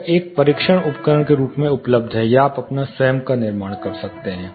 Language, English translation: Hindi, It is available as a testing device or you can fabricate your own